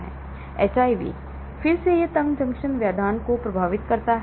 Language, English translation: Hindi, HIV, again it affects the tight junction disruption